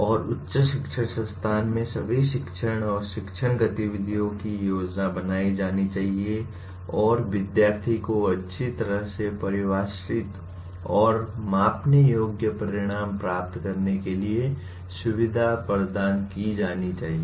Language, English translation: Hindi, And all teaching and learning activities in higher education institution should be planned and conducted to facilitate the students to attain well defined and measurable outcomes